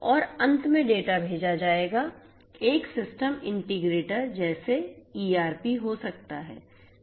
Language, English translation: Hindi, And finally, the data will be sent may be to a system integrator like ERP right